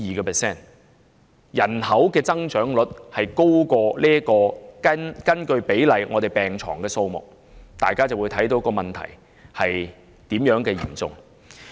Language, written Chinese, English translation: Cantonese, 當人口增長率高於人口與病床比例的增幅時，大家便明白問題是多麼的嚴重了。, We will understand how serious the problem is when the population growth rate is higher than the increase in the ratio of population to hospital beds